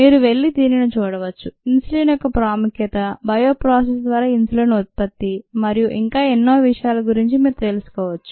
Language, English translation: Telugu, you can go and look at this to get some idea of the relevance of insulin, the production of insulin through a bioprocess and so on